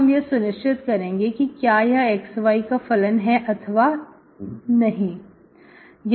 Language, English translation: Hindi, So now you will verify whether this is a function of your xy, okay